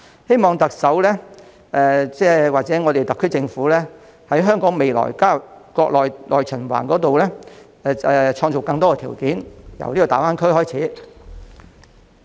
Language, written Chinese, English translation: Cantonese, 希望特首或特區政府在香港未來加入國內內循環方面創造更多條件，由大灣區開始。, I hope the Chief Executive or the SAR Government will create more favourable conditions for Hong Kong to join the internal circulation of the Mainland . We can start from the Greater Bay Area